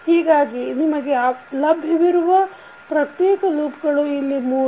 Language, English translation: Kannada, So, these will be the three individual loops which you will find